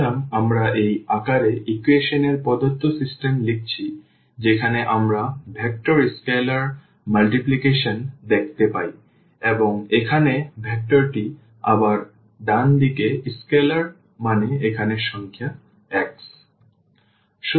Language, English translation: Bengali, So, we have written the given system of equations in this form where we see the vector scalar multiplication vector scalar multiplication and here the vector again the right hand side the scalar means this the number x here